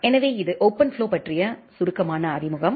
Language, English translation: Tamil, So, this is a very brief introduction of OpenFlow